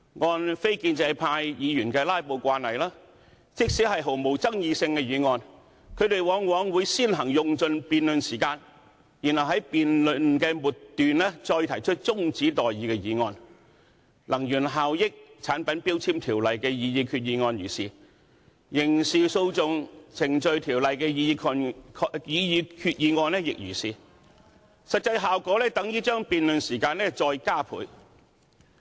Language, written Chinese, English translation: Cantonese, 按非建制派議員的"拉布"慣例，即使是毫無爭議性的議案，他們往往會先行用盡辯論時間，然後在辯論末段動議中止待續議案，《能源效益條例》的擬議決議案如是，《刑事訴訟程序條例》的擬議決議案亦如是，實際效果等於把辯論時間再加倍。, According to the usual practice of non - establishment Members in filibustering during the debate on any motion even non - controversial ones they will first use all their speaking time to speak on the motion and then move an adjournment motion toward the end of the debate . This strategy was applied to the debates on the proposed resolutions under the Energy Efficiency Ordinance and also under the Criminal Procedure Ordinance . In so doing they had practically doubled the debate time